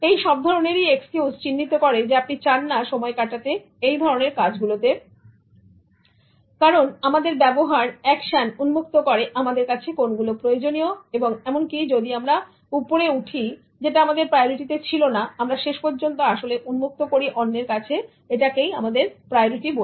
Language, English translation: Bengali, All these excuses rather indicate that you do not want to spend time in those activities because our actions reveal our priorities and even if we climb that we have no priorities, what we do finally actually reveal to others as our priorities